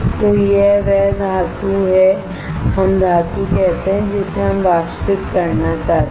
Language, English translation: Hindi, So, this is the metal let us say metal that we want to evaporate